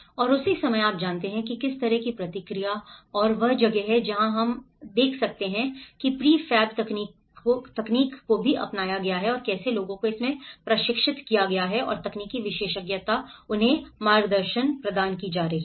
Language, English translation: Hindi, And at the same time, you know what is the kind of response and this is where we can see the prefab technology also have been adopted and how people have been trained in it and the technical expertise have been guiding them